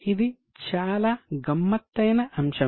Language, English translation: Telugu, This is a very tricky item